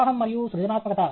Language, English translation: Telugu, Flow and creativity